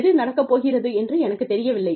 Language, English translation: Tamil, I do not know, if it is going to happen